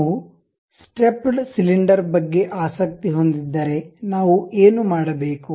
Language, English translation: Kannada, If we are interested in stepped cylinder what we have to do